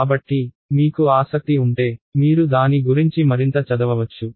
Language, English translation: Telugu, So, if you are interested you can read more on that